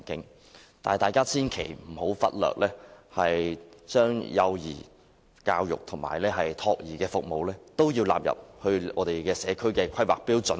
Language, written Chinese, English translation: Cantonese, 但是，大家千萬不要忽略將幼兒教育及託兒服務納入社區的規劃內。, However we must not forget to include pre - school education and child care services in community planning